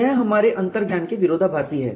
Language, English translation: Hindi, This is contradictory to our intuition